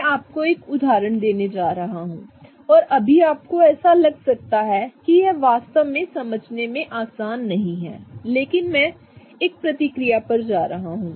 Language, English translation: Hindi, I'm going to give you one example and at this point this example may seem like not really easy to understand, but I'm going to go over one reaction